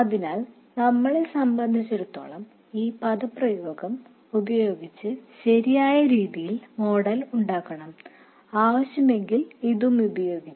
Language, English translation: Malayalam, So as far as we are concerned we have to model it in the correct way using this expression and possibly this one if necessary